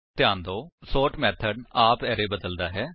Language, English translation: Punjabi, Note that the sort method has changed the array itself